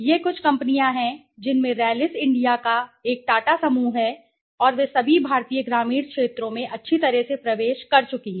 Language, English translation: Hindi, These are some of the companies Rallis India being a Tata group and all they have penetrated into the Indian you know rural scape every nicely